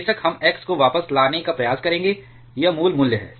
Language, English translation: Hindi, Which of course, we will try to get the x back to it is original value